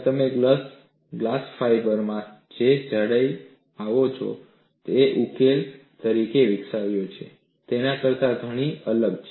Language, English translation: Gujarati, The thicknesses that you come across in glass fiber are far different than what you have developed as a solution